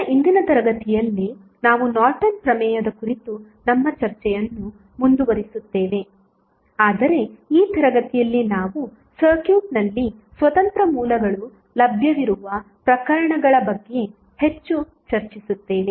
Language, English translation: Kannada, Now, in today's class we continue our discussion on Norton's theorem, but in this class we will discuss more about the cases where we have independent sources available in the circuit